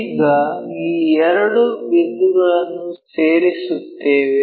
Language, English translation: Kannada, Now, join these two points